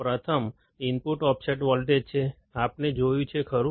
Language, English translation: Gujarati, First, is input offset voltage, we have seen, right